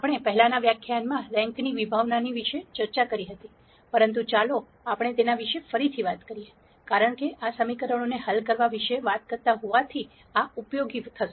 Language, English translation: Gujarati, We had already discussed the concept of rank in the previous lecture, but let us talk about it again, because this is going to be useful, as we talk about solving equations